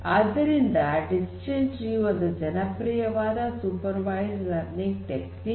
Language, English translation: Kannada, So, decision tree is also a very popular supervised learning technique